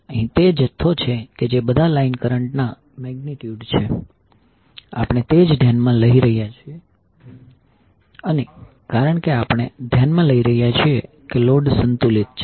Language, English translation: Gujarati, Here the amount that is magnitude of all line currents will be we are considering as same and because we are considering that the load is balanced